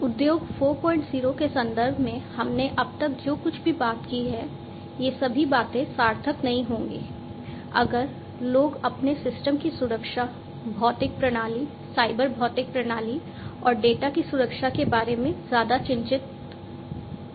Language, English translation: Hindi, 0 whatever we have talked about so far, all these things would be meaningful, if people are not much concerned about the security of their systems, the physical systems, the cyber systems, the cyber physical systems in fact, and also the security of the data